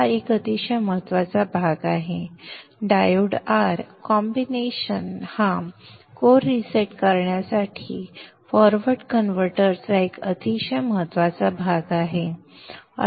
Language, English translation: Marathi, The diode R combination is a very important portion of your forward converter to bring about core resetting